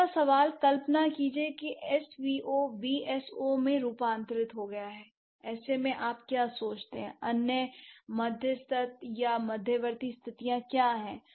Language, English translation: Hindi, Third question, imagine that SVO has morphed into VSO in such case, what do you think, what are the other mediary or intermediate conditions